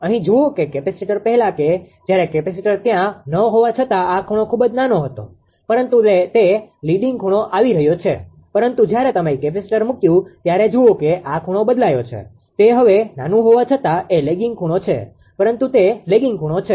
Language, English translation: Gujarati, Look here because of the capacitor earlier when capacitors was not there all though this angle is very small, but it was coming leading angle, but as soon as you have put the capacitor; look this angle is a change, it is a lagging angle now all though it is small, but it is lagging angle